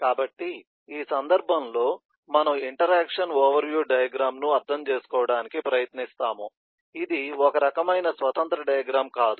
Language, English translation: Telugu, so in this context we will try to understand the interaction overview diagram, which is kind of a it’s not a eh significantly independent diagram